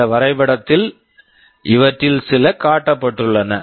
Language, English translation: Tamil, In this diagram some of these are shown